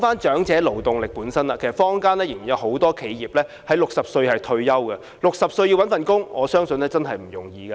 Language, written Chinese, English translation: Cantonese, 長者勞動力方面，坊間仍然有很多企業的僱員須在60歲退休，他們要在60歲後找工作，我相信並不容易。, In respect of the elderly labour force there are still many enterprises in the community requiring employees to retire at the age of 60 . I believe it is not easy for them to find a job post - sixty